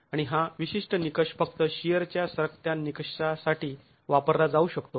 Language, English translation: Marathi, And this particular criterion can be used only for the shear sliding criterion